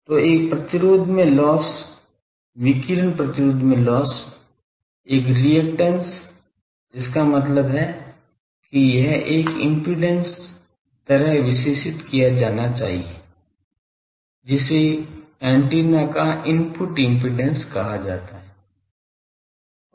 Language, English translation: Hindi, So, loss in resistance a radiating resistance then a reactance so; that means, it is an it should be characterized by an impedance that is called input impedance of the antenna